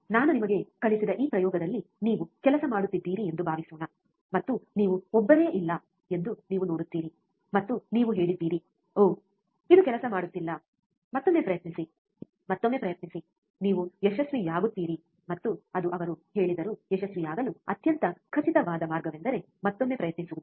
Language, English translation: Kannada, Suppose you work on this experiment what I have taught you, and you will see there is no single and you said, oh, this is not working do that try once again, try once again, you will succeed that is what he also said that the most certain way to succeed is to try one more time